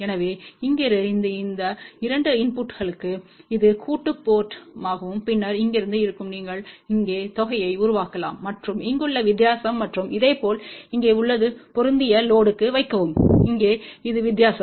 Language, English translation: Tamil, So, from here for these 2 input this will be the sum port and then from here you can generate the sum over here and the difference over here and similarly this one here is put in to match load and this one here is the difference